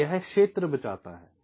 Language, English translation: Hindi, right, so this saves the area